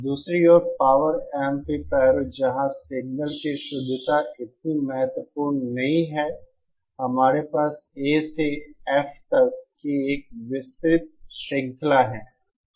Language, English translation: Hindi, Power amplifiers on the other hand where signal purity is not so critical, we have a wide range of Classes from A to F